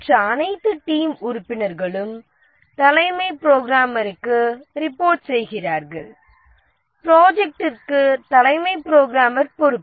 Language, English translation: Tamil, All other team members report to the chief programmer